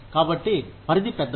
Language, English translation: Telugu, So, the range is large